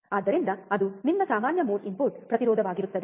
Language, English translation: Kannada, So, that will be your common mode input impedance